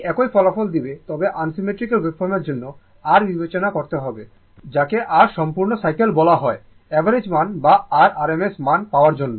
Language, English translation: Bengali, It will give you the same results, but for unsymmetrical wave form, you have to consider your what you call that your complete cycle right to get that average value or rms value right